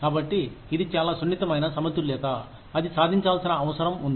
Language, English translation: Telugu, So, this is a very delicate balance, that needs to be achieved